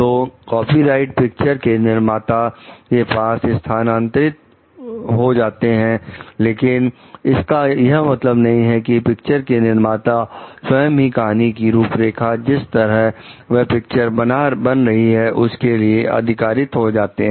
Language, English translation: Hindi, So, and then the copyright like passes on to the producer of the movie, that does not mean the producer of the movie has himself or herself authored the storyline authored, the a story based on which this movie is going to be made